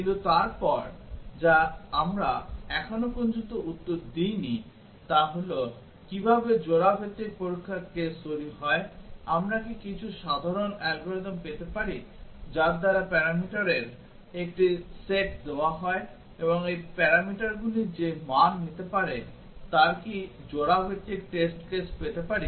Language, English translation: Bengali, But then what we did not answer till now is that how are the pair wise test cases generated, can we have some simple algorithm by which given a set of parameters and the values these parameters can take, can we get the pair wise test cases